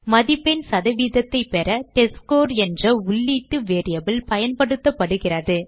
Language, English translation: Tamil, The input variable named testScore is used to get the score percentage